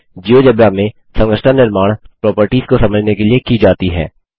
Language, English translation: Hindi, Construction in GeoGebra is done with the view to understand the properties